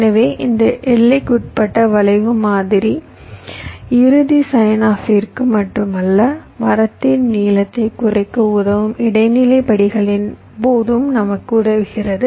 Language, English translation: Tamil, so this bounded skew model helps us not only for the final signoff but also during intermediate steps that can help in reducing the length of the tree